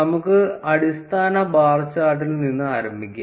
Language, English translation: Malayalam, Let us start with the basic bar chart